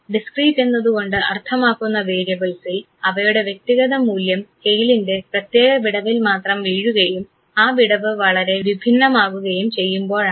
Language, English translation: Malayalam, Discrete means those variables for which the individual value falls on the scale only with certain gap and the gap is very distinct